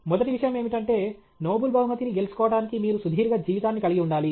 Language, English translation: Telugu, The first thing is you have to have a long life to win the Nobel price